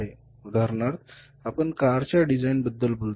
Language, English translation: Marathi, Now for example, you talk about designing of cars